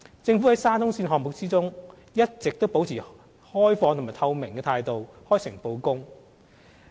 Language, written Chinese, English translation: Cantonese, 政府在沙中線項目中，一直保持開放和透明的態度，開誠布公。, The Government has been working in an open and transparent manner in the SCL project